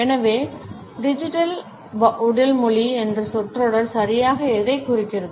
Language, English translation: Tamil, So, what exactly the phrase digital body language refers to